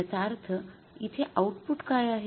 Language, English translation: Marathi, So, it means now what is the output here